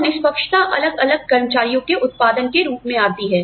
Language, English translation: Hindi, And, the fairness comes in, in terms of, the output of different employees